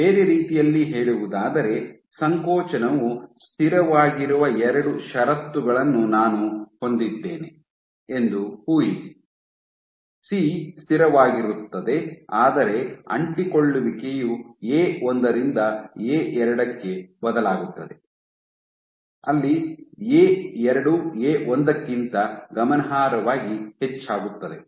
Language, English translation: Kannada, In other words, imagine I have two conditions in which contractility is constant; C is constant, but adhesivity changes from A1 to A2 where, A2 is significantly greater than A1